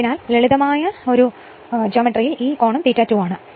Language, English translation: Malayalam, Therefore, from the simple geometry this is angle is also phi 2 right